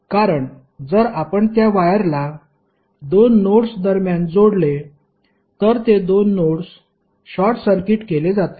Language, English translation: Marathi, Because if you connect that wire through between 2 nodes then the 2 nodes will be short circuited